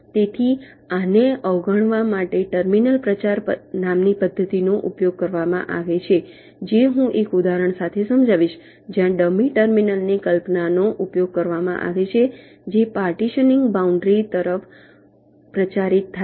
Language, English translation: Gujarati, ok, so to avoid this, a method called terminal propagation is used, which i shall be illustrating with an example, where the concept of a dummy terminal is used which is propagated towards the partitioning boundary